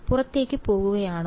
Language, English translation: Malayalam, Is going outward